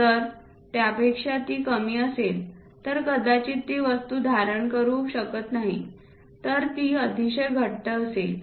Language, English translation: Marathi, If it is lower than that it may not hold the object, it will be very tight kind of thing